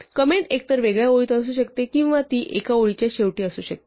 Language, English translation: Marathi, Comment can either be in a separate line or it can be in end of a line